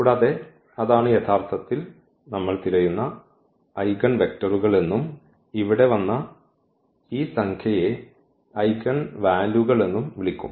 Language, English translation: Malayalam, And, that is what we are looking for and these are called actually the eigenvectors and this number which has come here that will be called as eigenvalues